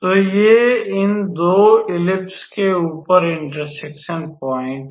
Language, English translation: Hindi, So, these are the one point of intersection up there of these 2 ellipse